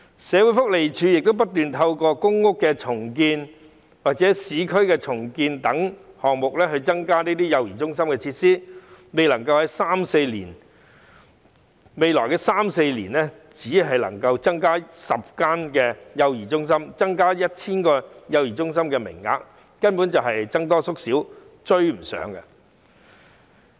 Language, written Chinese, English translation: Cantonese, 社會福利署不斷透過公屋重建或市區重建等項目增加幼兒中心的設施，而未來三四年只能夠增加10間幼兒中心及 1,000 個幼兒中心的服務名額，根本就是僧多粥少，追不上需求。, The Social Welfare Department SWD has made continuous effort to increase the number of child care centre facilities through public housing redevelopment or urban renewal projects . In the next three to four years there will be an addition of only 10 child care centres and 1 000 child care service places the supply of which can hardly catch up with the demand